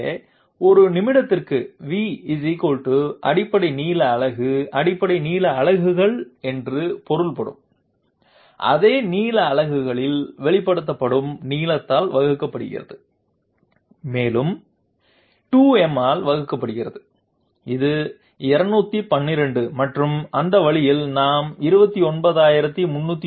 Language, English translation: Tamil, So basic length unit per minute divided by length expressed in the same length units that means basic length units divided by 2 to the power m, which is 2 to the power 12 and that way we obtain 29309